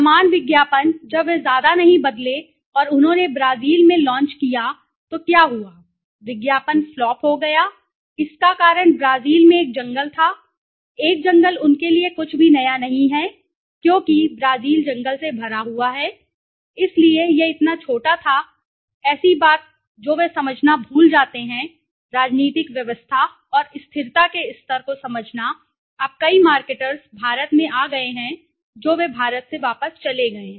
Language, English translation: Hindi, Same ad when they did not change much and they launched in Brazil what happen, the ad flopped, the reason was in Brazil a forest looking at a forest is nothing new to them, because Brazil is filled with forest right, so this was such a small thing that they forget to understand right, understanding the political systems and level of stability now many marketers have come to India they have gone back from India